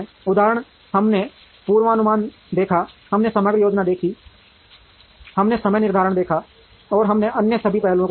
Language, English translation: Hindi, Example, we saw forecasting, we saw aggregate planning, we saw scheduling, and we saw all other aspects